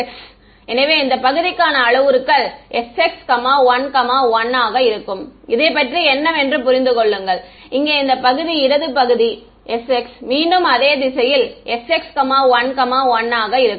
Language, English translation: Tamil, S x right; so, the parameters for this part will be s x 1 1 right make sense what about this part over here the left part again s x same direction s x 1 1 what about this guy over here